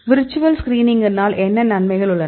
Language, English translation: Tamil, So, what the advantages having virtual screening